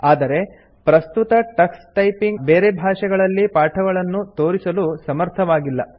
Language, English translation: Kannada, However, currently Tux Typing does not support lessons in other languages